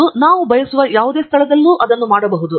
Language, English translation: Kannada, And we can do that at any location we wish